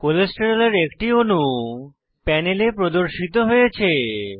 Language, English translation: Bengali, A molecule of Cholesterol is displayed on the panel